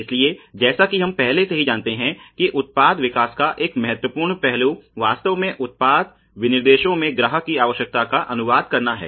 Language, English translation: Hindi, So, as we already know that one important aspect of product development is really to translate the need of the customer into the product specifications ok